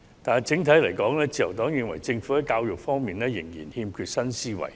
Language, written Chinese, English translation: Cantonese, 但是，整體而言，自由黨認為政府在教育方面仍然欠缺新思維。, However in general the Liberal Party opines that the Government still lacks new thinking on education